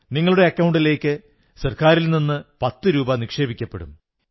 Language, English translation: Malayalam, Ten rupees will be credited to your account from the government